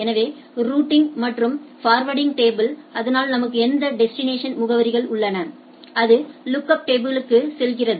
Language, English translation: Tamil, So, routing and forwarding table so I have that destination addresses and it goes on to the lookup tables